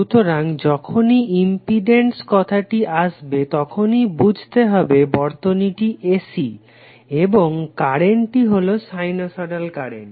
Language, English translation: Bengali, So whenever the impedance terms into the picture it means that the circuit is AC circuit and the current is sinusoidal current